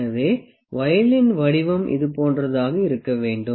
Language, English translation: Tamil, So, the shape of the voile is something like this